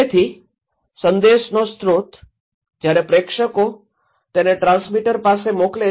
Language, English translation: Gujarati, So, the source of message, when the senders, they are sending to the transmitter